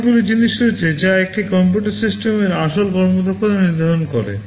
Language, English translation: Bengali, There are many other things that determine the actual performance of a computer system